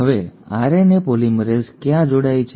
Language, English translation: Gujarati, Now, where does a RNA polymerase bind